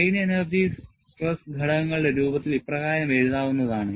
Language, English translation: Malayalam, Strain energy in terms of stress components is as follows